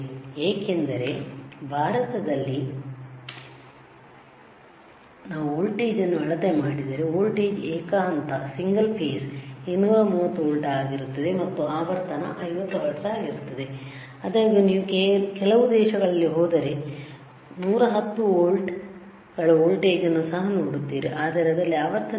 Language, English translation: Kannada, Because in India, right if we measure the voltage the voltage would be single phase 230 volts and the frequency is 50 hertz, 50 hertz right; however, if you go to some countries, you will also see a voltage which is 110 volts, but in that what is the frequency